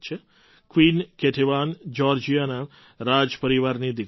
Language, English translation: Gujarati, Queen Ketevan was the daughter of the royal family of Georgia